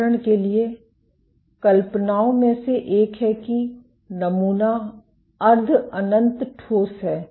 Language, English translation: Hindi, For example, one of the assumptions is the sample is semi infinite solid